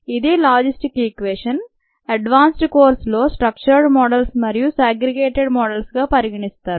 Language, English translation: Telugu, this is the logistic equations and in an advanced course one can consider structured models, segregated models and many other things